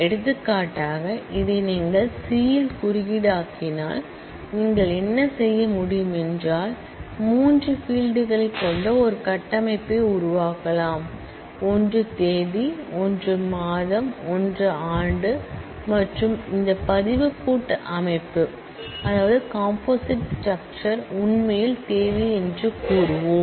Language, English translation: Tamil, For example, if you were to code this in C what you could do you could possibly create a structure with three fields; one is date, one is a month, one is a year and we will say that this composite record composite structure is actually my date